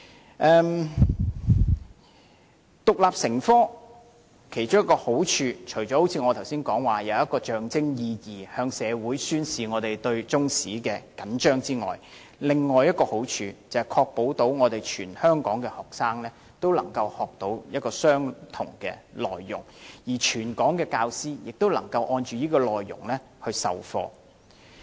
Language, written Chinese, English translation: Cantonese, 規定中史獨立成科的其中一個好處，除了我剛才提及的象徵意義，向社會宣示我們對中史着緊外，另一個好處是確保全港學生均能學習相同的內容，而全港教師也能按這內容授課。, There are various merits in requiring the teaching of Chinese history as an independent subject . Apart from the symbolic meaning of telling the public that we show great concern about Chinese history another merit is to ensure that all students in Hong Kong learn the same syllabus and all teachers in Hong Kong adopt the same syllabus in teaching